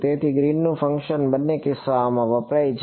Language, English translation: Gujarati, So, Green’s function is used in both cases